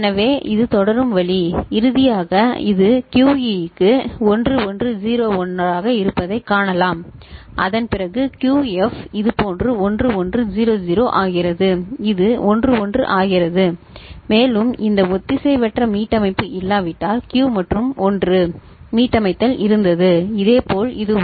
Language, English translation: Tamil, So, this is the way it will proceed and finally, you can see that this is 1101 for QE and after that Q F becomes 1100 like this and this becomes 1 1 and it could have been you know 0 and 1 unless this asynchronous reset was; reset was there and similarly for this one